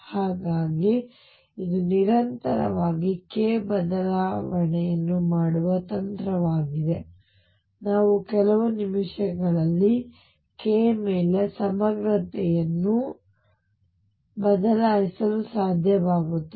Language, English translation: Kannada, So, this is the trick of making k change continuously I will be able to change the summation over k to integral over k which also in a few minutes